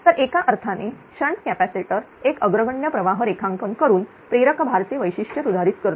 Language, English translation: Marathi, So, in a sense shunt capacitor modify the characteristic of an inductive load by drawing a leading current